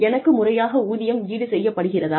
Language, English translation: Tamil, Am I being compensated, appropriately